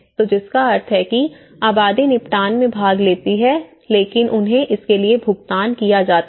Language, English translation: Hindi, So, which means the population does participate in the settlement but they are paid for it